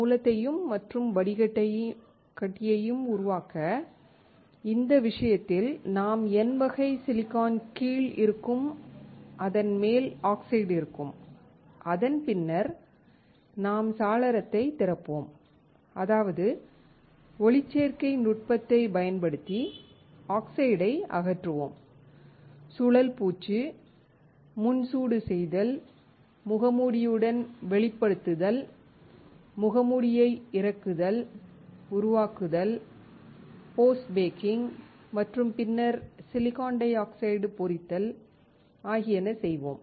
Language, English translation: Tamil, In this case for creating source and drain, we will have the oxide top and bottom of the N type Si and then we will open the window, which means that we will remove the oxide using photolithography technique spin coating, pre baking, exposing with the mask, unloading the mask, developing, post baking and then etching the silicon dioxide